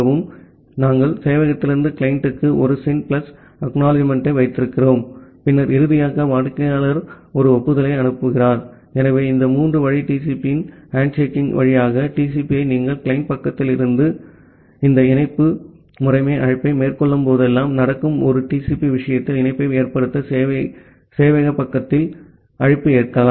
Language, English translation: Tamil, So, we are having a SYN plus ACK from the server to the client, and then finally, the client sends an acknowledgement, so that way through this three way handshaking of TCP which happens whenever you are making this connect system call at the client side and accept call at the server side to make the connection in case of a TCP